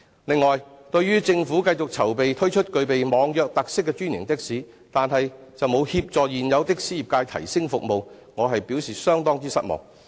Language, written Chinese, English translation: Cantonese, 此外，對於政府繼續籌備推出具備網約特色的專營的士，但卻沒有協助現有的士業界提升服務，我表示相當失望。, Besides I am rather disappointed that the Government continues to prepare launching franchised taxis with online - hailing features but has done nothing to facilitate the existing taxi trade in enhancing their services